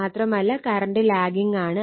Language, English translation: Malayalam, So, current is lagging